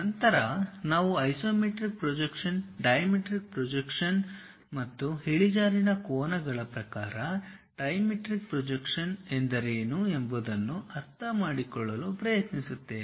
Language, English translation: Kannada, Then we try to understand what is an isometric projection, a dimetric projection, and trimetric projection in terms of the inclination angles